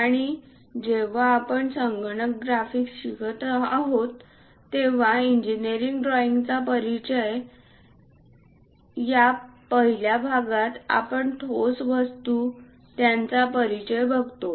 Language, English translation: Marathi, And when we are learning about computer graphics, we use introduction to solid works , in the first part introduction to engineering drawings